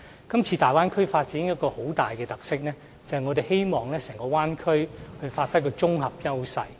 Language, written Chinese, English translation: Cantonese, 今次大灣區的發展有一個很大的特色，就是我們希望整個大灣區能發揮綜合優勢。, This time the development of the Bay Area has a major characteristic that is we hope the whole Bay Area can give play to its combined strength